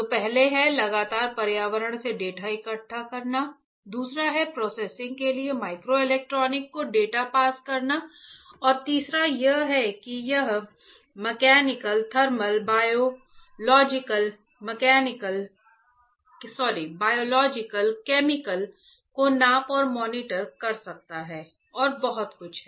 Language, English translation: Hindi, So, first is constantly gather data from environment, second is pass data to microelectronics for processing and third one is that it can measure and monitor mechanical thermal biological chemical and lot more right